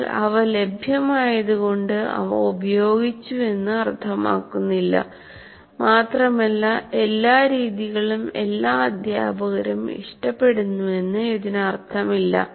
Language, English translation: Malayalam, But just because they're available, it doesn't mean they're used and it doesn't mean that every method is preferred or liked by all teachers and so on